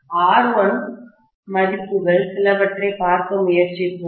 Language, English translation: Tamil, R1, let’s try to look at some of the values